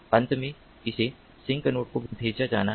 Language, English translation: Hindi, finally, it has to be sent to the sink node